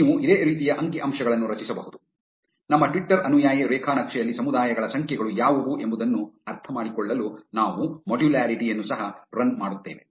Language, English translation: Kannada, You can generate similar statistics; we will also run the modularity to understand that what are the numbers of communities in our twitter followee graph